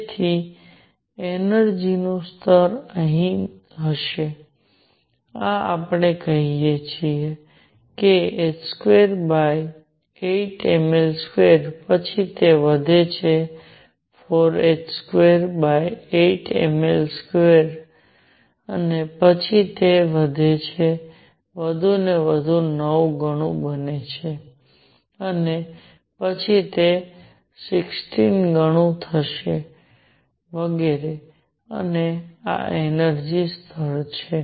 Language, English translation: Gujarati, So, the energy levels would be here this is let us say h square over 8 m L square then it increases becomes four times h square over eight ml square and then it increases even more this becomes 9 times and next would be 16 times and so on and these are the energy levels